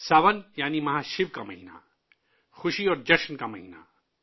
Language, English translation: Urdu, Sawan means the month of Mahashiv, the month of festivities and fervour